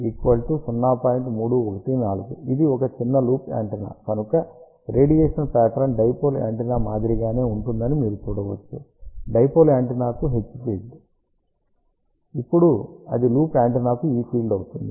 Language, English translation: Telugu, Since, it is a small loop antenna, you can see that the radiation pattern is similar to that of a dipole antenna except for the difference that whatever was the H field for the dipole antenna, now it is E field for the loop antenna